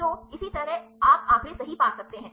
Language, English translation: Hindi, So, likewise you can get the statistics right